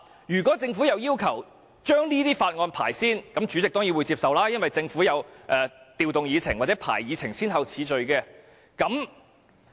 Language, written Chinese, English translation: Cantonese, 如果政府要求先審議這些法案，主席當然會接受，因為政府可以調動議程的先後次序。, If the Government requests that priority be given to the examination of those Bills the President will surely grant such requests for the Government may rearrange the priority of items on the Agenda